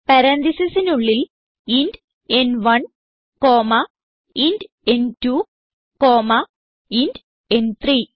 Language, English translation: Malayalam, AndWithin parentheses int n1 comma int n2 comma int n3